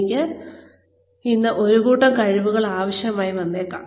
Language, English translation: Malayalam, I may need one set of skills today